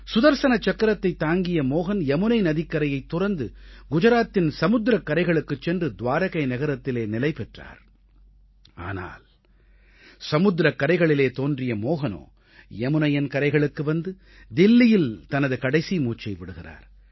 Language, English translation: Tamil, The Sudarshan Chakra bearing Mohan left the banks of the Yamuna for the sea beach of Gujarat, establishing himself in the city of Dwarika, while the Mohan born on the sea beach reached the banks of the Yamuna, breathing his last in Delhi